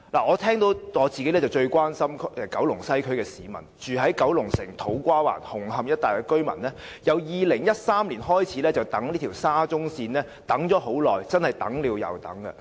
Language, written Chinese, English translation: Cantonese, 我最關心九龍西區的市民，住在九龍城、土瓜灣、紅磡一帶的居民由2013年開始等待沙中線，真的是等了又等。, I am most concerned about residents in Kowloon West . Residents of Kowloon City To Kwa Wan and Hung Hom have been waiting for SCL since 2013 . They have really been waiting and waiting